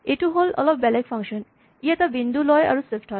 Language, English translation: Assamese, Now here is a slightly different function, it takes a point and shifts it